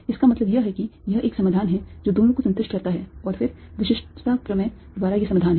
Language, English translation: Hindi, what that means is that this is a solution that satisfies both and this is these the solution, then, by uniqueness theorem